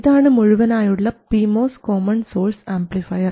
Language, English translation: Malayalam, Now, this is the Vmos common source amplifier